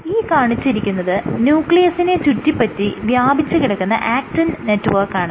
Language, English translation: Malayalam, So, what I have drawn here is the actin network which connects or which scaffolds the nucleus around it